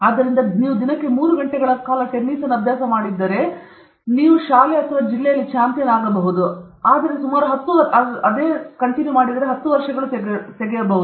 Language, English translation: Kannada, So, if you practice tennis for three hours a day, it will take about ten years for you to become a champion in school or district or whatever it may be